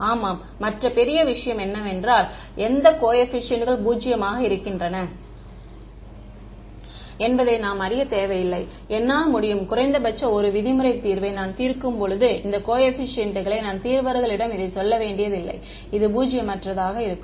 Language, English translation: Tamil, Yeah, the other great thing is that we do not need to know which coefficients are zero, I can when I solve the minimum 1 norm solution I do not have to tell the solver these coefficients are going to be non zero